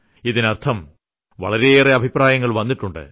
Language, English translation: Malayalam, Means lots of suggestions have come